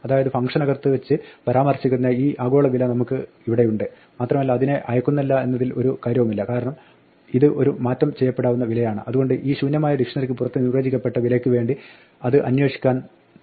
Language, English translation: Malayalam, So, we have this global value board here which is being referred to inside the function and it does not matter that is not being passed because this is the mutable value, so it is going to look for the value which is defined outside namely this empty dictionary